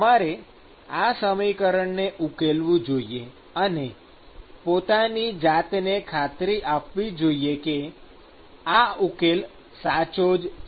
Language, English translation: Gujarati, So, you should actually solve the equation and convince yourself that this is the correct solution